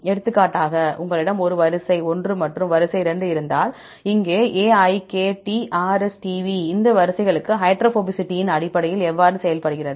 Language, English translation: Tamil, For example if you have a sequence 1 and sequence 2, AIKT here RSTV how for these sequences behave based on hydrophobicity